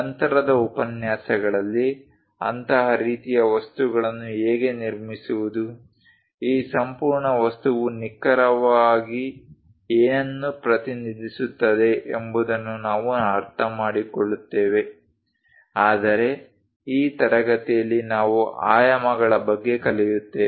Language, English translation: Kannada, Later lectures, we will understand that how to construct such kind of things, what exactly this entire object represents, but in this class we will learn about dimensions